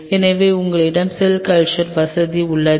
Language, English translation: Tamil, So, you have a cell culture facility